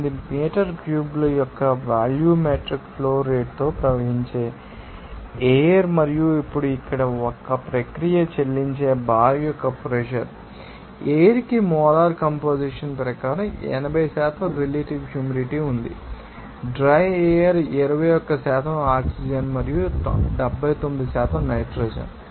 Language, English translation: Telugu, 8 meter cube per hour under the temperature of 25 degrees Celsius and a pressure of the bar that is paid to a process here now, the air has a relative humidity of 80% given the molar composition of dry air is 21% oxygen and 79% nitrogen